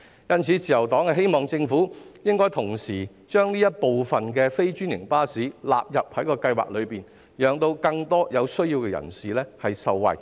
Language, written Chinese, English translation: Cantonese, 因此，自由黨希望政府同時將這類非專營巴士納入計劃，讓更多有需要人士受惠。, Hence the Liberal Party hopes that the Government will also include this type of non - franchised buses in the scheme to benefit more people in need